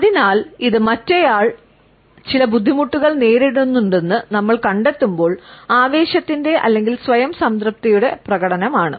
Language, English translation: Malayalam, So, it is an expression of the thrill or the self satisfaction when we discovered that the other person is facing certain hardships etcetera